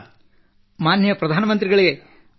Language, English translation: Kannada, Respected Prime Minister, Vanakkam